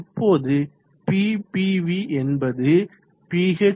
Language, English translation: Tamil, Now Ppv will be PH / 0